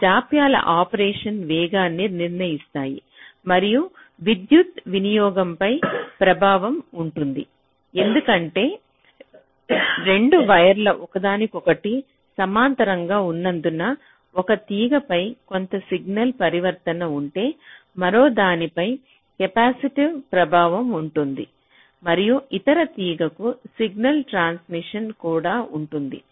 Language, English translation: Telugu, so those delays will determine the speed of operation and of course there will be an impact on power consumption because if there are two wires running parallel to each other, if there is some signal transition on one wire, there can be an capacitive effect on the other and there can be also a resulting signal transitioning to the other wire